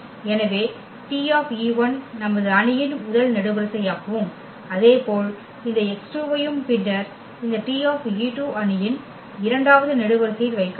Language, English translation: Tamil, So, T e 1 if we place as a first column in our matrix and similarly this x 2 and then this T e 2 placed in the matrices second column